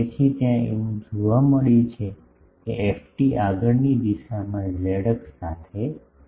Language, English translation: Gujarati, So, there it has been seen that, ft is highly peaked in the forward direction means along the z axis